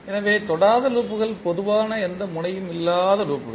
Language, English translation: Tamil, So non touching loops are the loops that do not have any node in common